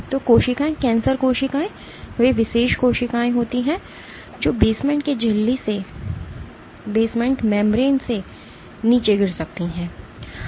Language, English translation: Hindi, So, cells cancer cells are those specialized cells, which can degrade through the basement membrane